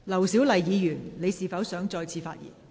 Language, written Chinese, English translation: Cantonese, 劉小麗議員，你是否想再次發言？, Dr LAU Siu - lai do you wish to speak again?